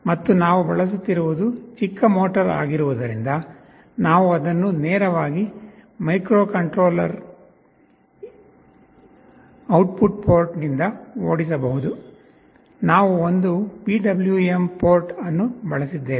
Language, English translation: Kannada, And the motor, because it is a small motor we are using, we can drive it directly from the microcontroller output port, we have used one PWM port